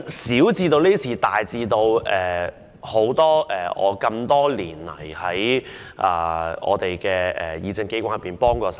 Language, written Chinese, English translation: Cantonese, 小至這些事情，大至過去多年曾在議政機關內協助我......, Such minor matters aside there are also some major examples of assistance to me in this deliberative assembly over all these years